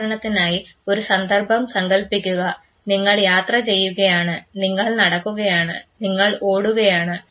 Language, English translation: Malayalam, Imagine the situation say for instance, you are traveling you are walking, you are running